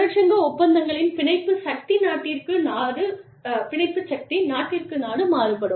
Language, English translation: Tamil, Binding force of union agreements, could vary from country to country